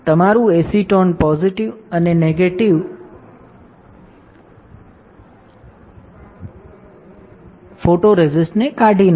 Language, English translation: Gujarati, So, your acetone will strip off positive and negative photoresist